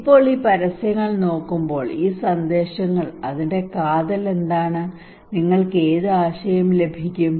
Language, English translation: Malayalam, Now looking at these advertisements, these messages what is the core of that one what the core idea you can get any idea